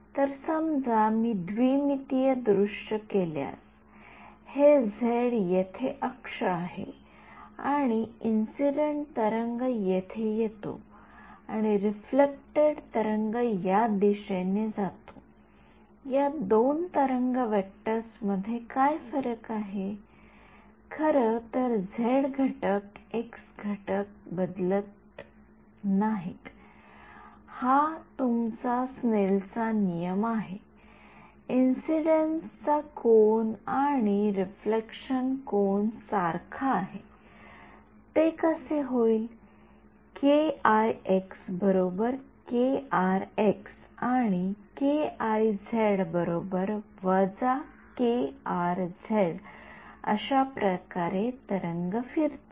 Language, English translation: Marathi, So, supposing I if I take a 2D view, this is the z axis over here and incident wave comes over here and the reflected wave goes in this direction, what is different between these two wave vectors, the z component, the x component in fact, does not change, that is your Snell’s law, angle of incidence equal to angle of reflection, how will that come, k ix is equal to k rx and k iz is equal to minus k rz, that is how the wave turns around right